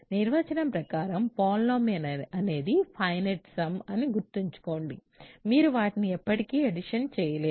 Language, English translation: Telugu, Remember by definition a polynomial is a finite sum like this you cannot keep forever adding things